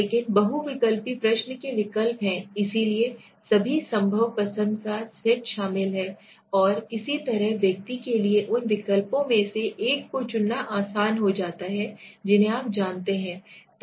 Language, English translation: Hindi, But multiple choice questions the response are alternatives are included so the set of all possible choice and so that the person it becomes easier for him to choose one of those you know alternatives